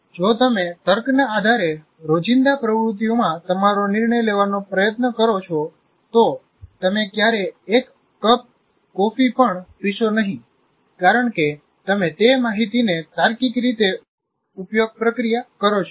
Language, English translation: Gujarati, If you try to do take your decision in everyday activity based on logic, you will never even drink a cup of coffee because if you logically process that information